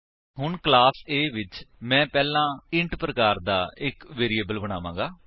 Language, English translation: Punjabi, Now inside class A, I will first create a variable of type int